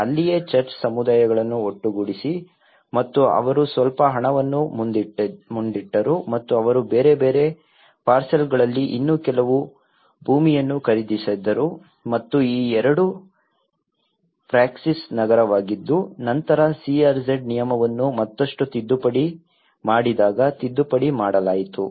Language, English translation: Kannada, That is there the church have gathered the communities and they put some money forward and they bought some more land in different parcels and these two are Praxis Nagar which were later amended when the CRZ regulation has been further amended